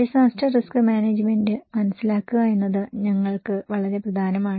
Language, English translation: Malayalam, That is very important for us to understand the disaster risk management